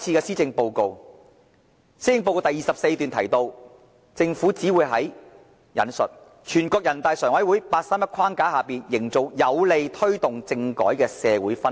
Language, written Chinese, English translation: Cantonese, 施政報告第24段提到，政府只會在："全國人大常委會'八三一'框架下營造有利推動政改的社會氛圍"。, Paragraph 24 of the Policy Address said that the Government would only I quote work towards creating a favourable social atmosphere for taking forward political reform within the framework of the 831 Decision of the Standing Committee of the National Peoples Congress